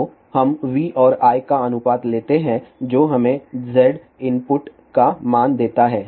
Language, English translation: Hindi, So, we take the ratio of v and I which gives us the value of Z input